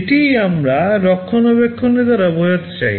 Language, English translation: Bengali, This is what we mean by maintainability